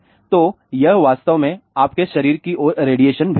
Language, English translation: Hindi, So, it is actually sending radiation towards your body